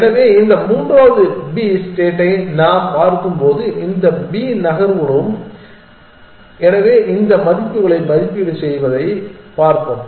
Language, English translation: Tamil, So, these all B moves that we are looking at this the third possible state, so let us just look evaluate these values